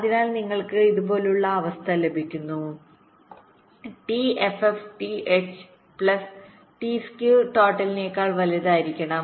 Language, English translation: Malayalam, so you get ah condition like this: t f f should be greater than t h plus t s k